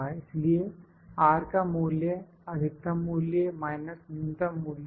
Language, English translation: Hindi, So, value of R, value of R is maximum value minus minimum value